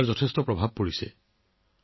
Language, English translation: Assamese, It has had a great impact there